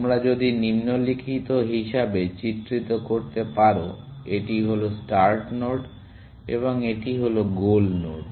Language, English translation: Bengali, If you can depict as follows; this is the start node and this is the goal node